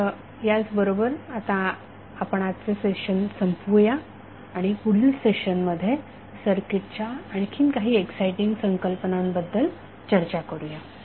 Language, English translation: Marathi, So with this we close our today’s session in the next session we will discuss few other exciting concepts of the circuit